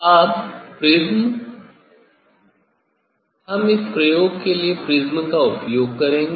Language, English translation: Hindi, Now, prism we will use prism for this experiment